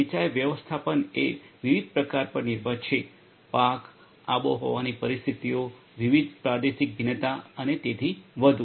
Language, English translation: Gujarati, Irrigation management based on the different types of; crops, climatic conditions, different regional variations and so on